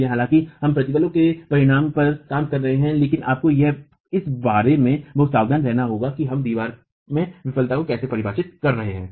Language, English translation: Hindi, So, though we are working on stress to sultans, you have to be very careful about where we are defining the failure in the wall itself